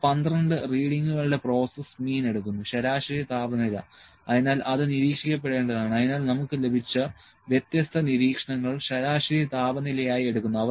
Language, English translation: Malayalam, And that 12 readings will take the process mean the mean temperature, so that is to be monitored the mean temperature would be taken as the different observations that we have got